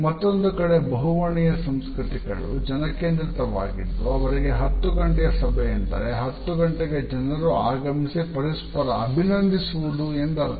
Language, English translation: Kannada, On the other hand polychronic cultures are more people centered and for them a 10 o clock meeting means at 10 o clock people going to start assembling there and start greeting each other